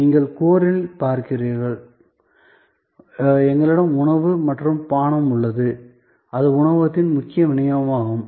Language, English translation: Tamil, Then you see at the core, we have food and beverage that is the main core delivery of the restaurant